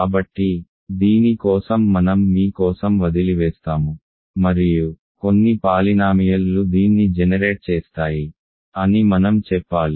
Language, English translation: Telugu, So, this I will leave for you for that and some polynomial will generate it I should say ok